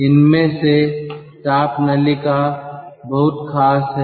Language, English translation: Hindi, heat pipes are very special